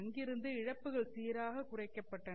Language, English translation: Tamil, The losses have been cut down even further